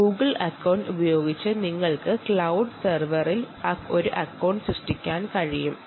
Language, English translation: Malayalam, if you have a google account, you should be able to create an account on the cloud server